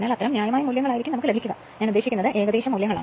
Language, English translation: Malayalam, So, such that you will get the reasonable values, I mean approximate values